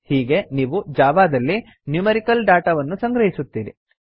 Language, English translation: Kannada, This is how you store numerical data in Java